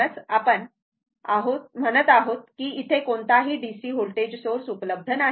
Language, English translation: Marathi, So, that is why, your what you call that no DC voltage source is present